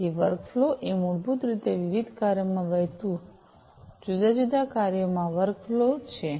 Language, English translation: Gujarati, So, workflow is basically the workflow among the different tasks that flow of different tasks